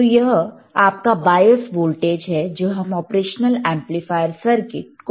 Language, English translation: Hindi, That is your bias voltage given to your operational amplifier circuit;